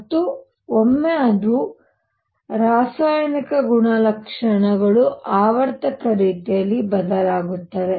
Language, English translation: Kannada, And what once it was chemical properties varied in a periodic manner